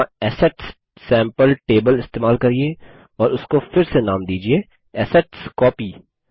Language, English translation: Hindi, Here, use the Assets sample table and rename it to AssetsCopy